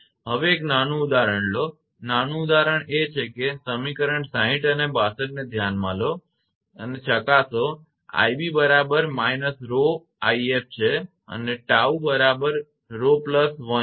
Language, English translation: Gujarati, Now, take a small example; small example is that consider equation 60 and 62 and verify that i b is equal to rho i f and tau is equal to rho plus 1